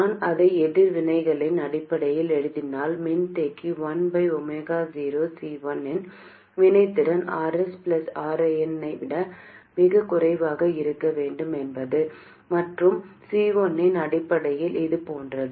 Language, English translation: Tamil, If I write it in terms of reactances, the reactance of the capacitor 1 over omega 0 C1 must be much less than r s plus rn and in terms of C1 it is like this